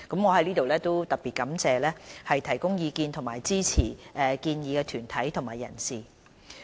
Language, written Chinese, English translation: Cantonese, 我在此特別感謝提供意見及支持建議的團體和人士。, Here I would like to express my gratitude to all the delegations and individuals that have provided comments and support for the proposal